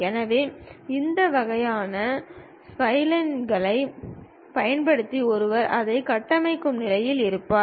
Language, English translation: Tamil, So, using these kind of splines one will be in a position to construct it